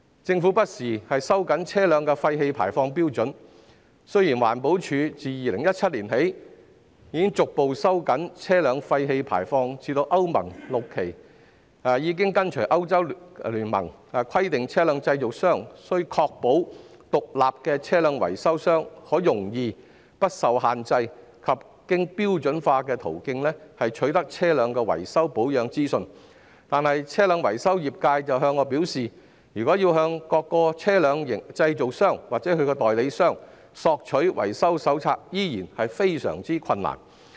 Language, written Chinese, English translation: Cantonese, 政府不時收緊車輛廢氣排放標準，雖然環境保護署自2017年起逐步收緊車輛廢氣排放標準至歐盟 VI 期，並已跟隨歐洲聯盟規定車輛製造商須確保獨立的車輛維修商可容易、不受限制及經標準化途徑取得車輛的維修保養資訊，但是，車輛維修業界向我表示，如要向各車輛製造商或其代理商索取維修手冊，依然非常困難。, The Government has time and again tightened vehicle emission standards . Since 2017 the Environmental Protection Department EPD has progressively tightened vehicle emission standards to Euro VI and it has followed the requirement of the European Union that vehicle manufacturers shall ensure that independent vehicle repair operators have easy unrestricted and standardized access to information on the repair and maintenance of vehicles . However the vehicle repair sector has told me that it is still rather difficult to obtain maintenance manuals from various vehicle manufacturers or their agents